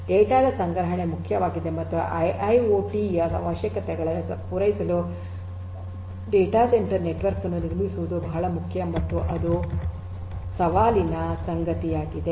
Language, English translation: Kannada, Storage of the data is important and building of the data centre network for catering to the requirements of IIoT is very important and is challenging